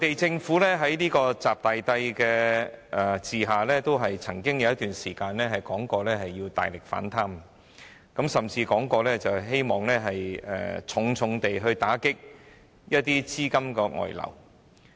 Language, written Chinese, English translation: Cantonese, 在"習大帝"的管治下，內地政府曾有一段時間表示要大力反貪，甚至表示希望大力打擊資金外流。, Under the rule of Emperor XI the Mainland Government has at one time launched a ferocious anti - corruption campaign vowing to crack down on capital outflows